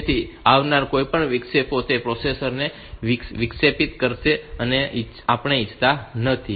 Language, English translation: Gujarati, So, any of the interrupts coming, it will be interrupting the processor so that we may not want